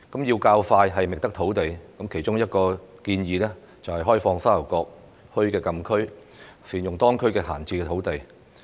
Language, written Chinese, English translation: Cantonese, 要較快覓得土地，其中一項建議就是開放沙頭角墟禁區，善用當區的閒置土地。, To expedite site search one of the suggestions is to open up the Sha Tau Kok Town Frontier Closed Area FCA and make good use of the idle land in the area